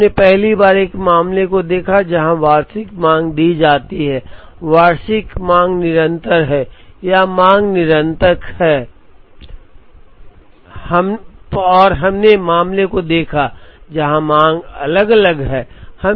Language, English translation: Hindi, We first looked at a case, where annual demand is given, annual demand is continuous or demand is continuous and we looked at case, where demand is time varying